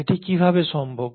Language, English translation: Bengali, Now how is that possible